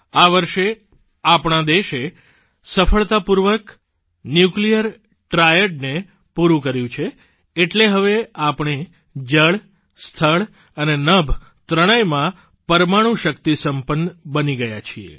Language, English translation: Gujarati, It was during this very year that our country has successfully accomplished the Nuclear Triad, which means we are now armed with nuclear capabilitiesin water, on land and in the sky as well